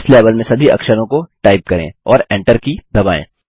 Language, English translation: Hindi, Complete typing all the characters in this level and press the Enter key